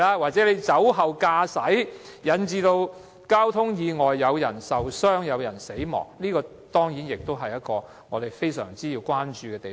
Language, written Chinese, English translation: Cantonese, 或者，他酒後駕駛引致交通意外，造成人命傷亡，這當然是我們需要高度關注的問題。, Or if drink drivers cause traffic accidents involving casualties then we will certainly give it huge attention